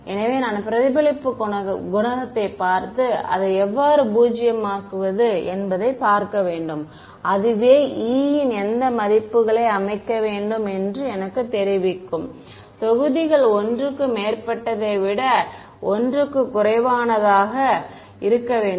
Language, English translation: Tamil, So, I should look at the reflection coefficient and see how to make it zero and that itself will tell me what values of e to set, should the modulus less than one equal to one greater than one